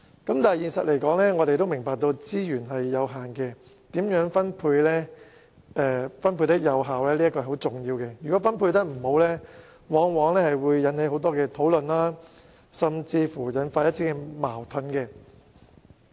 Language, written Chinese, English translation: Cantonese, 然而，現實上我們明白資源有限，因此如何作出有效分配是十分重要的，如果分配不公，往往引起很多討論甚至觸發矛盾。, In reality however we understand that with only limited resources an effective distribution of resources is very important . Very often unfair distribution of resources may lead to much discussion or even conflicts